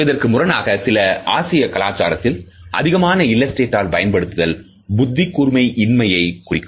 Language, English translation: Tamil, In contrast we find that in some Asian cultures and extensive use of illustrators is often interpreted as a lack of intelligence